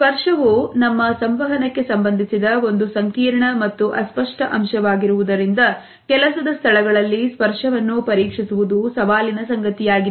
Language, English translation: Kannada, Examining touch in a workplace is challenging as touch is a complex as well as fuzzy aspect related with our communication